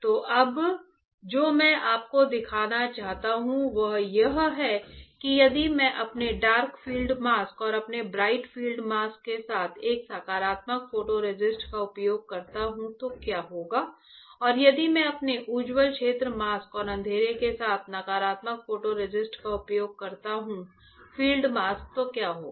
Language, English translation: Hindi, So, now, what I want to show it to you is that if I use a positive photo resist with my dark field mask and with my bright field mask, what will happen and if I use negative photo resist with my bright field mask and dark field mask then, what will happen